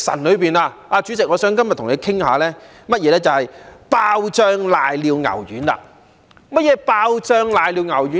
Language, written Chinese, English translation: Cantonese, 主席，今天我想跟你談談"爆漿瀨尿牛丸"。何謂"爆漿瀨尿牛丸"？, President today I would like to discuss with you the Explosive Pissing Beef Ball